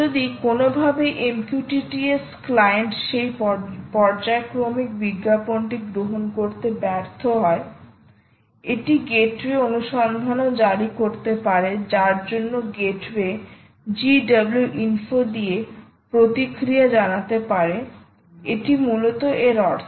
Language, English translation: Bengali, if somehow the m q t t s client miss that periodic advertisement, it can also issue a search gateway for which the gateway can respond with gw info